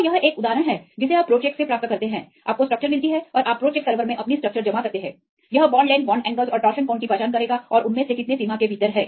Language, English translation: Hindi, So, this is one example you get from the pro check right you get the structure and you submit your structure in the pro checks server it will identify the bond lengths bond angles and torsion angle and how many of them are within the limit